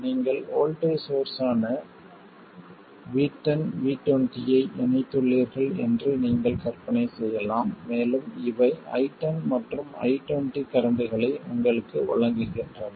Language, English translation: Tamil, You can imagine that you have connected voltage sources V10 and V20 and these give you currents which are I10 and I20